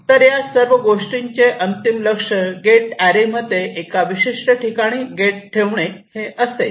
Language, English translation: Marathi, so ultimate goal of all these steps will be to place a gate in to a particular location in the gate array